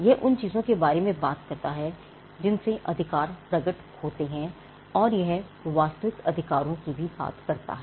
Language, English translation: Hindi, It talks about the things on which the rights are manifested, and it also talks about the actual rights